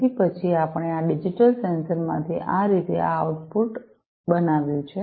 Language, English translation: Gujarati, So, we have then this output produced from these digital sensors in this manner right